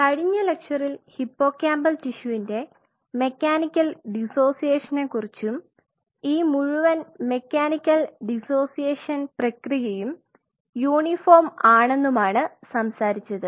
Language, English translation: Malayalam, So, in the last lecture we talked about the mechanical dissociation of the hippocampal tissue and this whole mechanical dissociation process is uniform